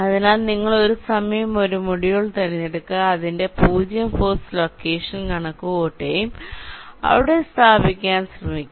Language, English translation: Malayalam, so you select one module at a time, computes its zero force location and try to place it there